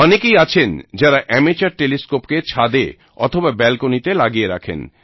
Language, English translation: Bengali, Many people install amateur telescopes on their balconies or terrace